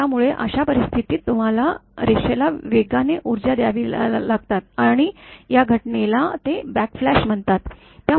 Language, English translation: Marathi, So, in that case you have to de energize the line fast and this phenomena sometime they call as a backflash